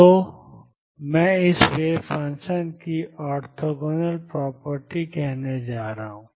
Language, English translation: Hindi, So, this is what I am going to call the orthogonal property of wave function